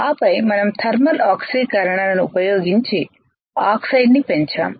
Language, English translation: Telugu, So, this is how the thermal oxidation works